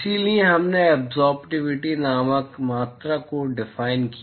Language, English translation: Hindi, So, we defined a quantity called absorptivity